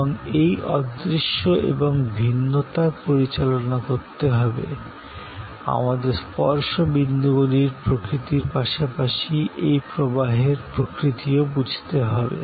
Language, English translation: Bengali, And to manage the intangibility, the heterogeneity, we have to understand the nature of the touch points as well as the nature of this flow